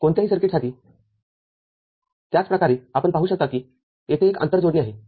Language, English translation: Marathi, The same way for any other circuit you can see there is a inter connection